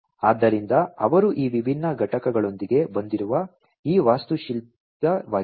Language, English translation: Kannada, So, this is this architecture that they have come up with these different components